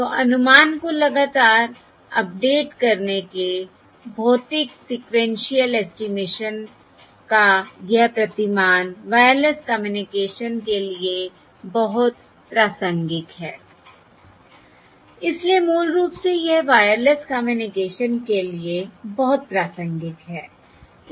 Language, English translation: Hindi, So this, this paradigm of physical sequential estimation, of continuously updating the estimate, is very relevant for Wireless Communication